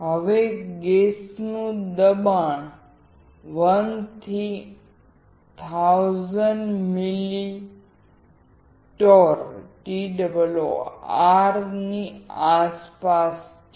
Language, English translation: Gujarati, Now, gas pressures around 1 to 1,000 milli torr